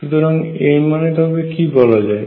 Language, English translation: Bengali, And what does that mean